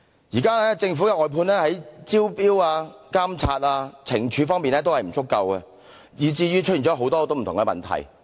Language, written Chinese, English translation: Cantonese, 現時政府的外判工作在招標、監察、懲處方面均有不足，以致出現很多不同的問題。, The existing inadequacies in tender invitation supervision and penalties of the outsourced work of the Government have given rise to many different problems